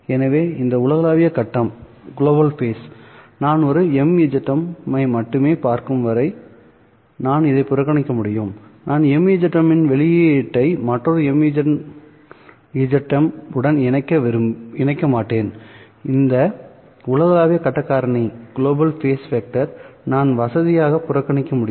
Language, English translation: Tamil, So this global phase I can ignore as long as I am looking at only one mzm, I am not connecting the output of one mzm to another mzm, I can conveniently ignore this global phase factor